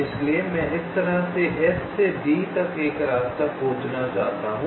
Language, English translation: Hindi, so i want to find out a path from s, two d like this